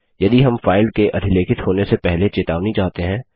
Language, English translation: Hindi, If we want our warning before the file is overwritten